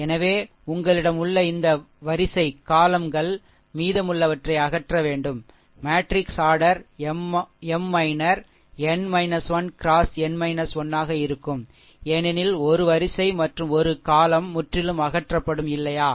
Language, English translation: Tamil, So, this rows columns you have to you have to just eliminate ah rest the matrix order minor will be M minor your n minus 1 into n minus 1, because one row and one column is completely eliminated, right